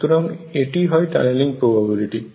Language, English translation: Bengali, So, this is tunneling probability